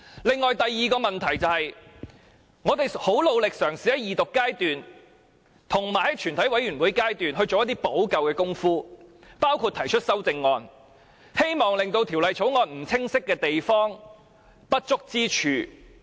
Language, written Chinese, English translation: Cantonese, 此外，第二個問題是，我們很努力嘗試在二讀及全體委員會階段作出補救，包括提出修正案，希望修補《條例草案》下不清晰的地方、不足之處。, Furthermore the second question is that we are trying hard to make remedy by proposing amendments during the Second Reading and Committee stage of the whole Council in the hope of amending the unclear parts and deficiencies of the Bill